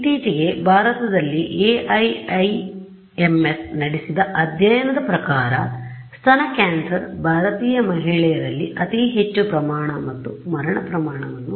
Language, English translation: Kannada, So, there was a study done by AIIMS in India very recently and the rated breast cancer is having the highest rate of both incidence and mortality amongst Indian woman